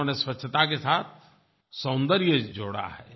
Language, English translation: Hindi, They have added beauty with cleanliness